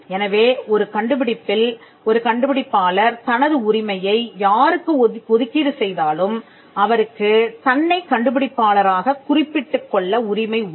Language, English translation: Tamil, So, wherever an inventor assigns the right in an invention, wherever an inventor assigns the right in an invention, the inventor will still have the right to be mentioned as the inventor